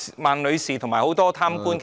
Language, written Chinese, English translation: Cantonese, 孟女士及很多貪官其實......, In fact Ms MENG and many corrupt officials